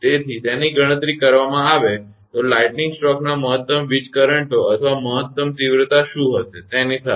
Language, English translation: Gujarati, So, even with that what will be the maximum lightning currents or maximum intensity of the lightning stroke that they calculate